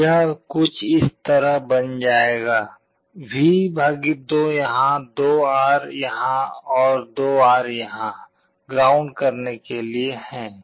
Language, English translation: Hindi, It will become something like this: V / 2 here, 2R here, and 2R here to ground